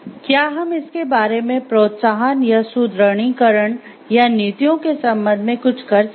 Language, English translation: Hindi, Can we do something regarding it in terms of incentives or to reinforcements or policies